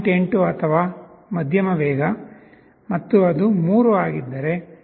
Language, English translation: Kannada, 8 or medium speed, and if it is 3 then it is 0